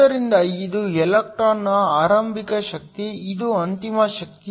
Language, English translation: Kannada, So, This is the initial energy of the electron, this is the final energy